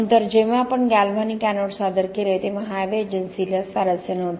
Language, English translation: Marathi, Later on when we introduced galvanic anodes Highways Agency were not interested